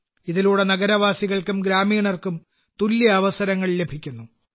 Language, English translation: Malayalam, This provides equal opportunities to both urban and rural people